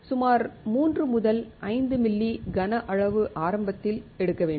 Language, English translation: Tamil, About 3 to 5 ml volume has to be taken initially